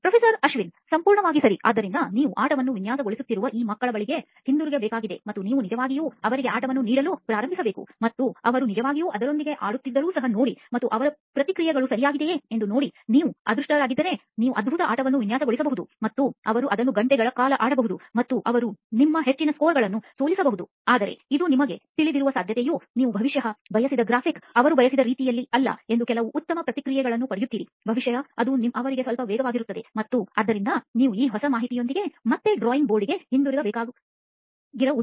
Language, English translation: Kannada, Absolutely right, so you have to go back to these kids that you are designing the game for and you actually have to then start giving them the game and see even if they actually play with it and see what their reactions are right, you might be lucky, you might have designed a wonderful game and they might play it for hours and they might beat your high scores and all of that, but it also very likely that you know, you will get some very good feedback on the fact that maybe the graphics are not quite the way they wanted it to be, maybe it is a little bit too fast for them and so essentially what you will have to do is come back to the drawing board again with this new information